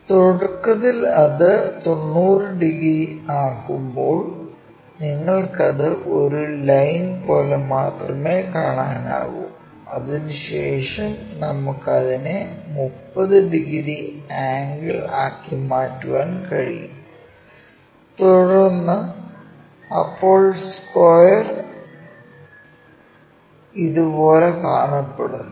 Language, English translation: Malayalam, Initially, when it is 90 degrees you just see it likeonly a line after that we can make it into a 30 degree angle then the square looks like this and after that if we are flipping it by 45 degrees it looks in that way